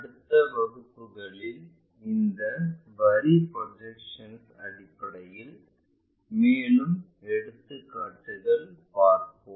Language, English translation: Tamil, In the next classes we will look at more examples in terms of this line projections